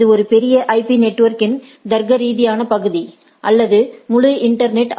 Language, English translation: Tamil, It is a logical portion of a large IP network or the whole internet